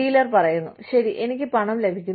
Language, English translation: Malayalam, The dealer says, okay, I am getting the money